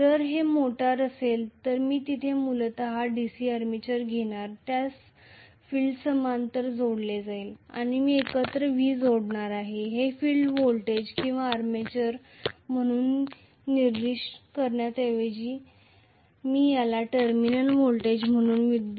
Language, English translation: Marathi, If it is a motor I am going to have basically a DC armature here which is connected to the field in parallel and together I am going to connect a V let me call this as terminal voltage rather than specifying this as field voltage or RMS voltage I mean armature voltage